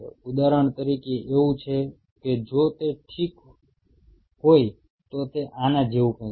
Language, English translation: Gujarati, Say for example, it is so it is something like this if ok